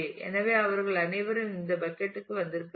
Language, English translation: Tamil, So, all of them have come to this bucket